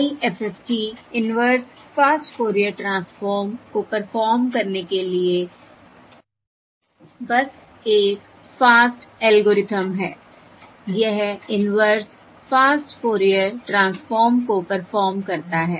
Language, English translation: Hindi, IFFT is simply a fast algorithm to perform the Discreet Fourier Transform, Inverse Fast